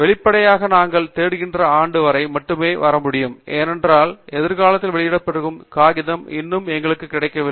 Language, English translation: Tamil, Obviously, we can come only up to the year that we are searching, because the paper that will be published in future are not yet available to us at this point